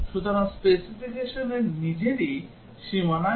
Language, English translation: Bengali, So, the specification itself has problem at the boundary